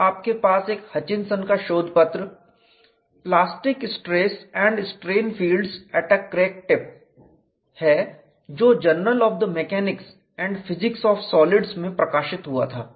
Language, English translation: Hindi, And you have a paper by Hutchinson plastic stress and strain fields at a crack tip published in journal of the mechanics and physics of solids